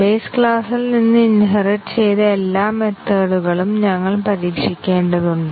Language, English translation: Malayalam, We have to test actually all those method which have been inherited from base class